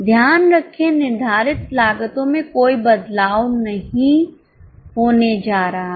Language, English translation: Hindi, Keep in mind there is not going to be any change in the fixed cost